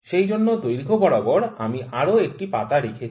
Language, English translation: Bengali, So, this length I have put another leaf here